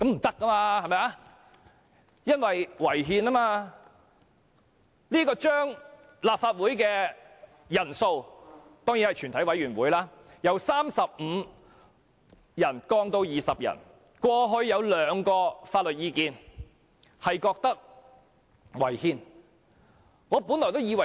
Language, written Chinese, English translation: Cantonese, 對於將立法會全體委員會的法定人數由35人降至20人的建議，過往曾有兩項法律意見指出有關建議違憲。, As regards the proposal to reduce the quorum of a committee of the whole Council from 35 Members to 20 Members there were two legal opinions pointing out its unconstitutionality